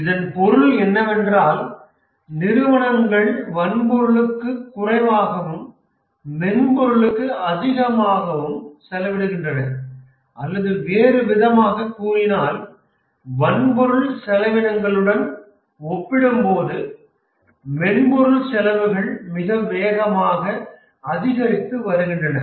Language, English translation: Tamil, What it means is that companies are spending less on hardware and more on software or in other words, software costs are increasing very rapidly compared to hardware costs